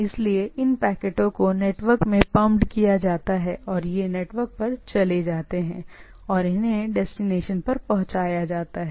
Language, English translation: Hindi, So, these packets are pumped into the network and these go on the network and they are delivered at the destination